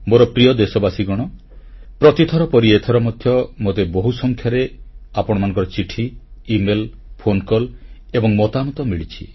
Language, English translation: Odia, My dear countrymen, just like every time earlier, I have received a rather large number of letters, e mails, phone calls and comments from you